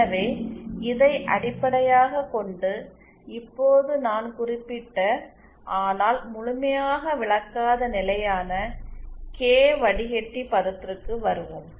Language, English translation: Tamil, So based on this now let us come to the constant K filter term that I mentioned but didn't explain in full